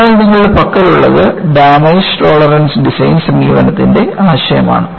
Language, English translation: Malayalam, So, what you have is the concept of Damage Tolerant Design approach